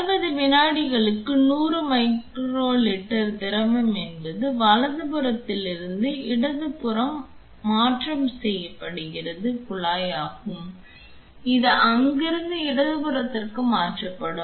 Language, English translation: Tamil, For 60 seconds there will be 100 micro liter of fluid transferred from my right hand side that is the tubing from here to the left hand side and going forward let us see what are the other things that can be programmed